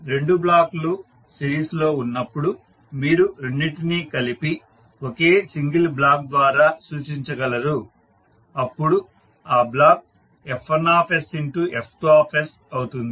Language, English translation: Telugu, So you can combine both of them and represent by one single block and then the block will be F1s into F2s